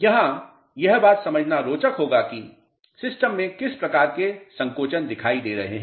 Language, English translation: Hindi, The point of interest here is to understand what type of shrinkages are appearing in the system